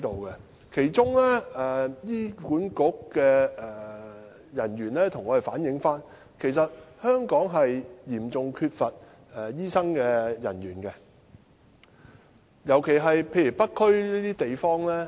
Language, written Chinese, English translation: Cantonese, 醫院管理局的人員曾向我們反映，香港醫生嚴重短缺，尤其是在北區這些地方。, I have been told by staff of the Hospital Authority HA that there is an acute shortage of doctors in Hong Kong particularly in areas like North District